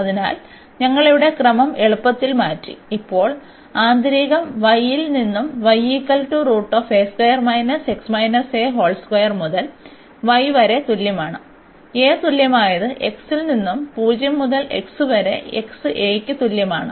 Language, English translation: Malayalam, So, we have change the order here easily and now the inner one goes from y is equal to a square minus x minus a square to y is equal to a and the inner one goes from x is equal to 0 to x is equal to a